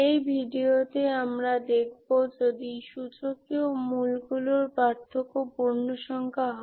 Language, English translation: Bengali, In this video we will see a difference is integer case